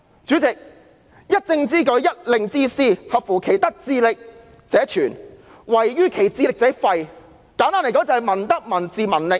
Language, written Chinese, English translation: Cantonese, 主席，"一政之舉，一令之施，合乎其德智力者存，違於其德智力者廢"，簡單而言，就是民德、民智、民力。, President a policy remains implemented and an order remains in force if they are in line with the morals the intellectual power and the physical strength of the people; otherwise they are abandoned . In gist it is all about peoples morality intellect and strength